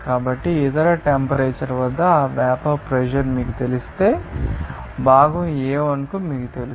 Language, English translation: Telugu, So, at that other temperature, if you know that vapour pressure, you know that of component A1